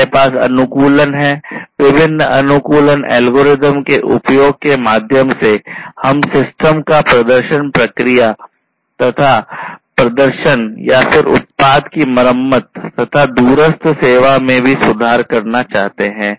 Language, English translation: Hindi, So, this is about control and then we have the optimization; here through the use of different algorithms, optimization algorithms, we want to improve the performance of the system the process and so on performance, and then product repair, and also remote service